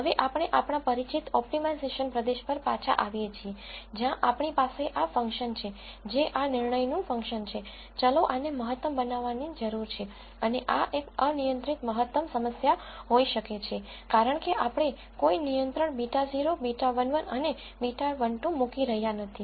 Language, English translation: Gujarati, Now we have come back to our familiar optimization territory, where we have this function which is a function of these decision variables, this needs to be maximized and this is an unconstrained maximization problem be cause we are not putting any constraints on beta naught beta 1 and beta 2